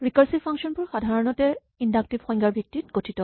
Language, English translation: Assamese, Recursive functions are typically based on what we call inductive definitions